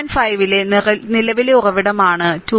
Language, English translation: Malayalam, 5 this is a current source 2